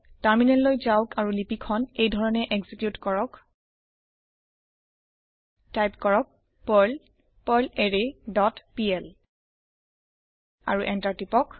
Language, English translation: Assamese, Switch to the terminal and execute the script as perl perlArray dot pl and press Enter